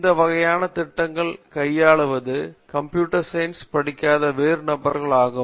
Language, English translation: Tamil, So these types of projects people are handled and all of them are non computer science people